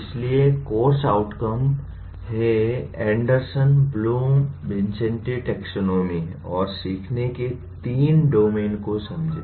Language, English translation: Hindi, So the course outcome is: Understand Anderson Bloom Vincenti Taxonomy and the three domains of learning